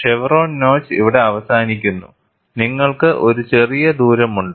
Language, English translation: Malayalam, The chevron notch ends here and you have a small distance